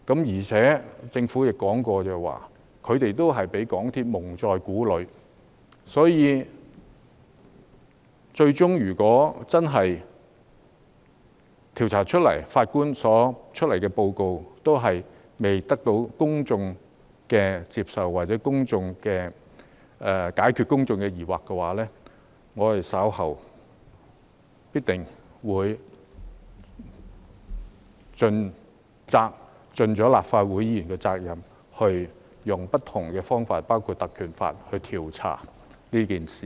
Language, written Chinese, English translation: Cantonese, 而且政府亦說過，它也是被港鐵公司蒙在鼓裏，所以，最終如果經過調查，調查委員會的報告亦未得到公眾接受或未能解決公眾的疑慮，我們稍後必定會履行立法會議員的責任，運用不同的方法，包括引用《條例》來調查此事。, Besides according to the Government it was also kept in the dark by MTRCL . Therefore after investigation if the report of the Commission of Inquiry is unacceptable to the public or is unable to address public concern we will definitely discharge the responsibility of the Legislative Council in due course to look into this incident through various means including invoking the Ordinance